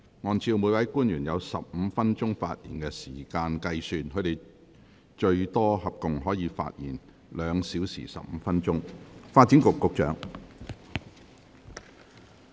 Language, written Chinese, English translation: Cantonese, 按照每位官員有15分鐘發言時間計算，他們合共可發言最多2小時15分鐘。, On the basis of the 15 - minute speaking time for each officer they may speak for up to a total of 2 hours and 15 minutes